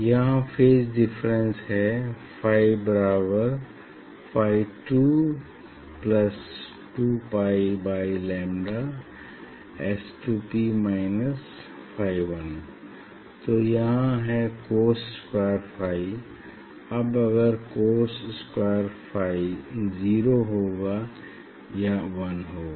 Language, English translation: Hindi, phase difference here is phi equal to so this phi 2 plus 2 pi by lambda S 2 P minus phi 1 cos square phi so here this is the phi, so cos square phi 4 a square four a square cos square phi